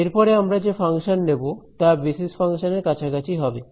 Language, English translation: Bengali, So, we will talk about basis functions